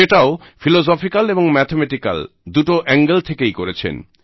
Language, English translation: Bengali, And he has explained it both from a philosophical as well as a mathematical standpoint